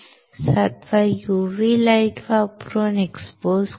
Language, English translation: Marathi, Seventh expose using UV light